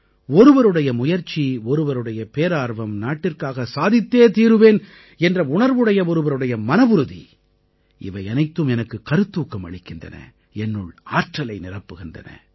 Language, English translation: Tamil, Someone's effort, somebody's zeal, someone's passion to achieve something for the country all this inspires me a lot, fills me with energy